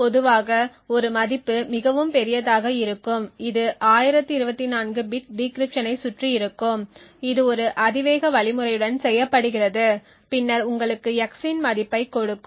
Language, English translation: Tamil, Typically the value of a would be quite large it will be around 1024 bit decryption which is done with an exponential algorithm would then give you a value of x